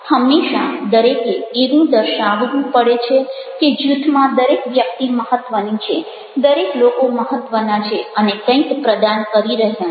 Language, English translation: Gujarati, always one should ah show that ah everybody in the group is important, they all matter and they all are contributing something